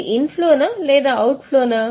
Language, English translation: Telugu, Is it in flow or outflow